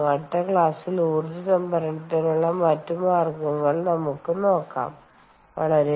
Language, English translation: Malayalam, in the next class, what we will do is we would look at another means of energy storage